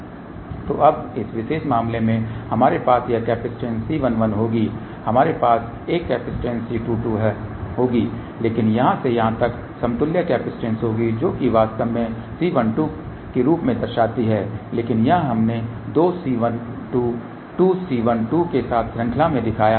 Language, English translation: Hindi, So, now in this particular case we will have this capacitance C 1 1 we will have a capacitance C 2 2 , but from here to here there will be equivalent capacitance which is actually let us denote as C 1 2 , but here we have shown that as 2 C 1 2 in series with 2 C 1 2